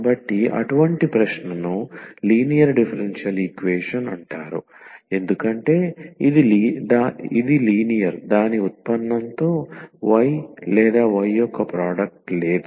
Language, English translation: Telugu, So, such a question is called a linear differential equation because this is linear there is no product of y or y with the its derivative